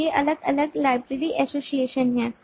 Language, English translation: Hindi, so these are different binary associations